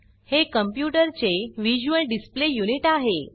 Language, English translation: Marathi, It is the visual display unit of a computer